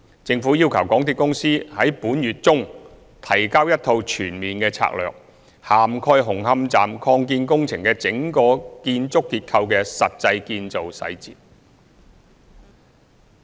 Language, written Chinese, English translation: Cantonese, 政府要求港鐵公司於本月中提交一套全面的策略，涵蓋紅磡站擴建工程的整個建築結構的實際建造細節。, The Government requested MTRCL to submit a holistic strategy covering the actual construction details of the entire building structure of the Hung Hom Station Extension works